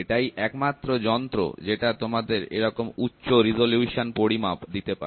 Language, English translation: Bengali, And this is the only device which gives you such a high resolution measurement